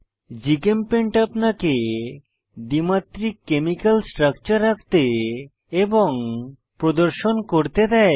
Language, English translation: Bengali, GChemPaint allows you to, Draw and display two dimensional chemical structures